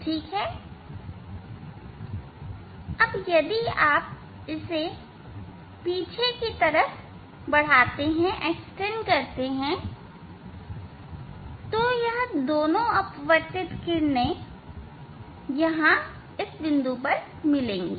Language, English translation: Hindi, if you if you extend backwards these two refractive rays they will meet here